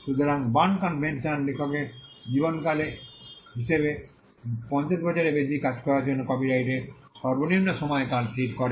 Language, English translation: Bengali, So, the Berne convention fixed the minimum duration of copyright for most works as life of the author plus 50 years